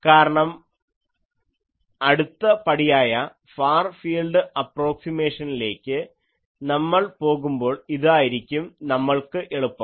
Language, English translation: Malayalam, So, in the next class, we will do the Far field approximation and we will simplify this